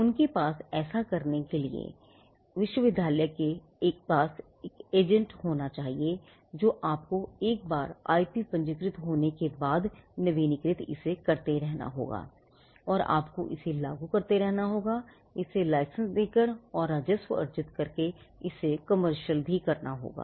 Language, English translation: Hindi, They should have a patent agent within the university to do this for them and then you have once the IP is registered then you have to keep renewing it you have to keep enforcing it and commercialize it by earning by licensing it and earning revenue